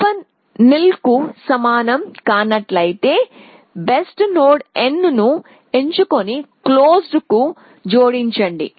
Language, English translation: Telugu, So, as before if open is not equal to nil, pick best node n and add it to closed